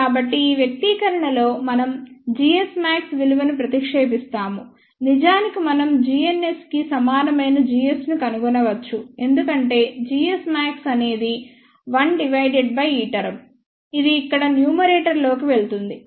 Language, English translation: Telugu, So, in this expression let us substitute the value of g s max so, we actually we can find out g n s equal to g s, since g s max is 1 divided by this term here that will go in the numerator